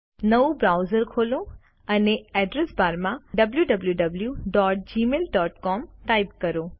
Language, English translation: Gujarati, Open a fresh browser and in the address bar type www.gmail.com